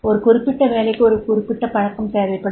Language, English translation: Tamil, That is the particular job that requires a particular habit